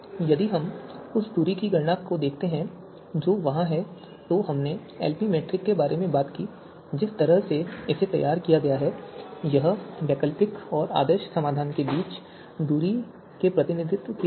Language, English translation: Hindi, If we look at the you know distance computation that is there so as we talked about Lp metric the way it is formulated it is like a representation of distance between the alternative and the ideal solution right